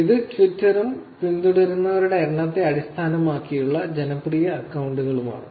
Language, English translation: Malayalam, This is Twitter and number of followers in terms of popular accounts